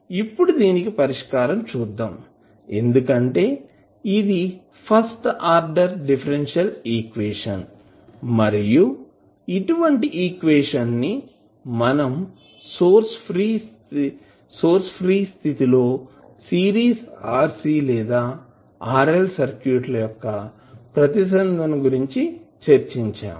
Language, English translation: Telugu, Now, the solution of this because this is a first order differential equation and we have seen these kind of equations when we discussed the series rc or rl circuits in case of source free response